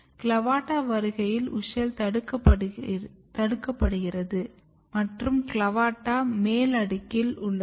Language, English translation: Tamil, When CLAVATA is coming up, WUSCHEL is restricted here CLAVATA is on the upper layer